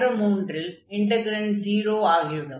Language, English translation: Tamil, So, that integral will be 0